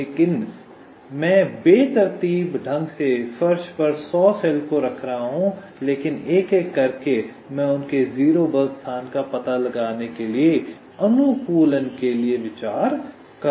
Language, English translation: Hindi, so i am randomly placing the hundreds cells on the floor, but one by one i am considering them for optimization, trying to find out the zero force location